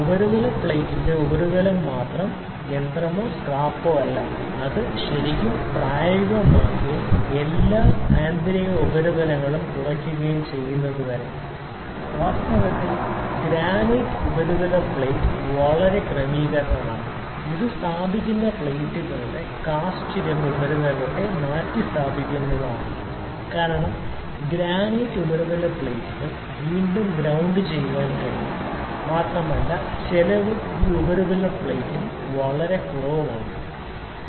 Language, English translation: Malayalam, Also the true plane of the surface of the surface plate is not machine or scrap until it has really aged and all the internal surfaces have subsided; actually the granite surface plate is a very good adjustments, it is very tremendous replacement of the cast iron surface of the placing plates, because granite surface plates can be grounded again and again and also the cost is that less weight is lesser this surface plate, the surface is hard